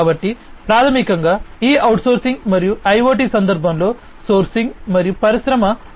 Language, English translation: Telugu, So, basically this outsourcing and in sourcing in the context of IoT, and their use in Industry 4